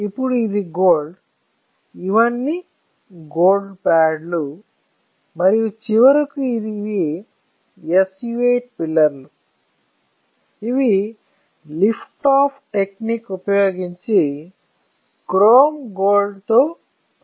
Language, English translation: Telugu, Then this is gold, these are all gold pads and then finally, these are SU 8 pillars which are coated with chrome gold using liftoff technique